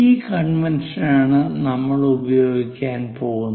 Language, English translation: Malayalam, This is the convention what we are going to use